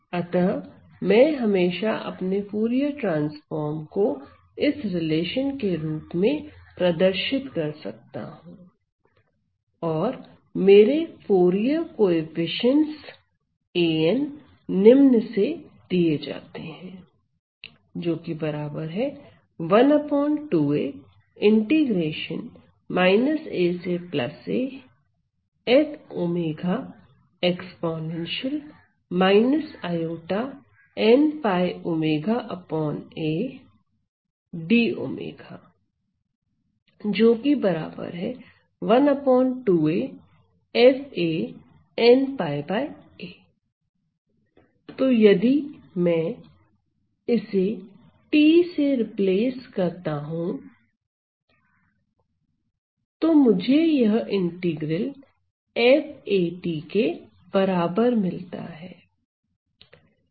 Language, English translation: Hindi, So, I can always represent my Fourier transform in terms of this relation and of course, my Fourier coefficients, my Fourier coefficients, a n is given by 1 by 2 a, I am taking the inner product